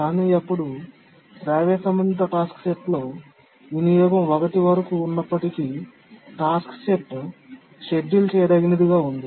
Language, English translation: Telugu, But then here in the harmonically related task set, even if the utilization is up to one, still the task set remains schedulable